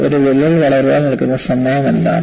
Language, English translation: Malayalam, What is the time that would take for a crack to grow